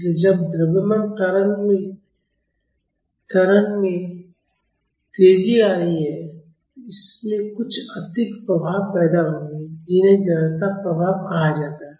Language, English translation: Hindi, So, when a mass is accelerating, that will lead to some additional effects called inertia effect